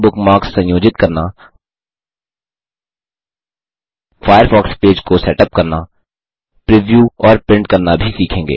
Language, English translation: Hindi, We will also learn, how to: Organize Bookmarks, Setup up the Firefox Page, Preview and Print it